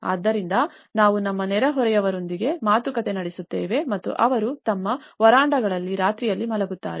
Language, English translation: Kannada, So, what we do is we negotiate with our neighbours and they sleep on the nights in their verandas